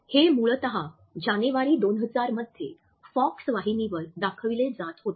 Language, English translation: Marathi, It originally ran on the Fox network in January 2009